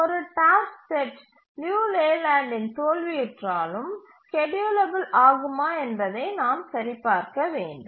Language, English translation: Tamil, And we need to check if a task set fails Liu Leyland but still it is schedulable